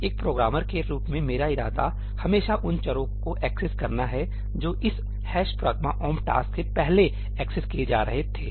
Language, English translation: Hindi, As a programmer my intention is always to access those variables, which were just being accessed before this ëhash pragma omp taskí